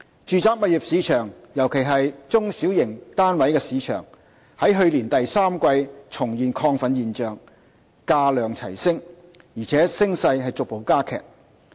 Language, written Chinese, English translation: Cantonese, 住宅物業市場，尤其是中小型單位市場，在去年第三季重現亢奮現象，價量齊升，而且升勢逐步加劇。, Signs of exuberance have re - emerged since the third quarter last year particularly in the mass market flats with accelerated increase in both housing prices and transactions